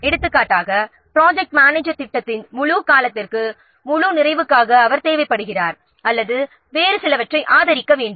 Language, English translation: Tamil, For example, the project manager is required for the whole completion for the full duration of the project or required to support some other resources, etc